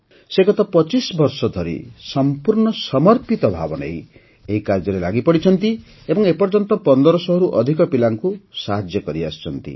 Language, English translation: Odia, He has been engaged in this task with complete dedication for the last 25 years and till now has helped more than 1500 children